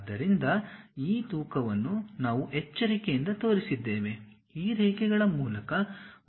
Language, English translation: Kannada, So, these weights we carefully shown it, so that a nice curve really pass through these points